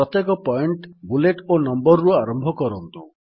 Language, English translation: Odia, Each point starts with a bullet or a number